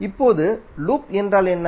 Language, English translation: Tamil, Now what is loop